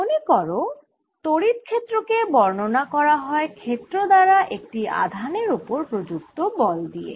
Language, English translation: Bengali, remember, in electric field represented force on a charge by the field